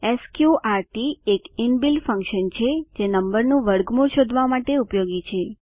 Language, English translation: Gujarati, sqrt is an inbuilt function to find square root of a number